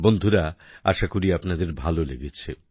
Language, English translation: Bengali, Friends, I hope you have liked them